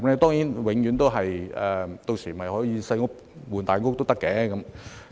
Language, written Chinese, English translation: Cantonese, 當然，屆時市民可以"細屋換大屋"。, Of course by then people can sell their smaller homes and purchase bigger ones